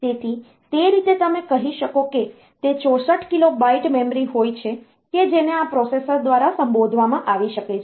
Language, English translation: Gujarati, So, that way you can say it is 64 kilo byte of memory can be addressed by the processor